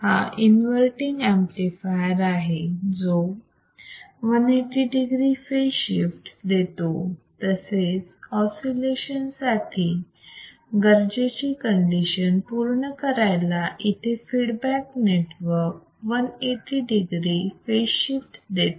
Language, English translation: Marathi, So, the amplifier producesing a phase shift of 1800 degree because it is a invitinginverting; while the feedback network provides a phaser resurfaceshift of 180 degre0e to satisfy the required condition for the oscillation